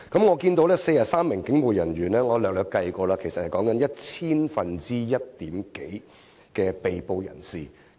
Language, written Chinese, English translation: Cantonese, 我察悉有43名警務人員被捕，我粗略計算過，其實即是千分之一點多。, I have noted that 43 police officers were arrested . My rough calculation actually yielded some 0.1 %